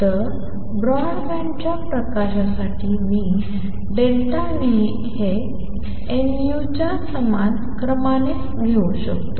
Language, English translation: Marathi, So, for a broad band light I can take delta nu of the same order of as nu